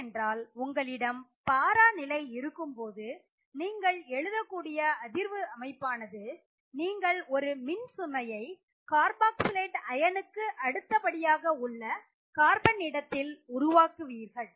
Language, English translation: Tamil, So now the effects would be different because when you have the para position and you write resonance structures you generate a charge at the carbon next to your carboxylate ion